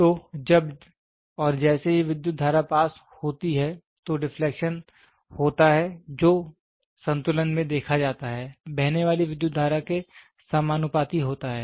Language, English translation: Hindi, So, as and when the current is passed the deflection happens which is seen in the equilibrium, directly proportional to the current flowing through it